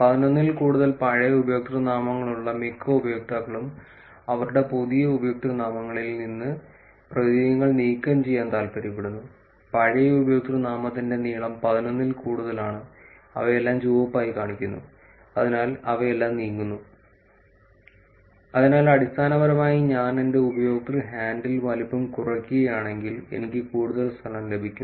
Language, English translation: Malayalam, While most users with old usernames greater than 11 prefer to remove characters from their new usernames; old username length greater than 11 which is shown as red here they are all moving from, so basically space gain if I actually reduce my user handle size, I am getting actually more space